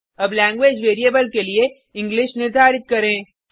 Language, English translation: Hindi, Now, let us assign English to the language variable